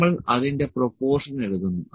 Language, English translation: Malayalam, So, we take the proportion of that